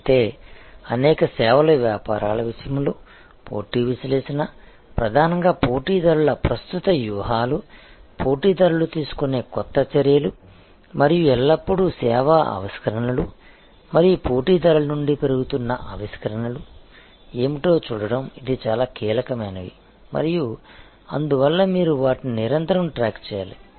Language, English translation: Telugu, Whereas, in case of many services businesses, the competition analysis is mainly focused on what are the current strategies of the competitors, the new actions that competitors likely to take and always looking at what are the service innovations and even incremental innovations from competitors are very crucial and therefore, you need to constantly track them